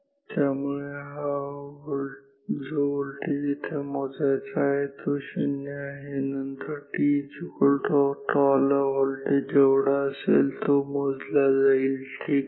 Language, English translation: Marathi, So, the voltage will be measured to be 0, then at t equal to tau the voltage will be this much, this is the measured voltage ok